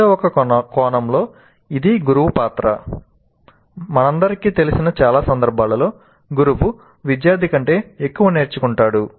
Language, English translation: Telugu, So in some sense it is the role of the teacher and as we all know in most of the cases the teacher learns more than the student